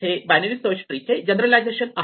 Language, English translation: Marathi, So, this is very much a generalization of binary search in the tree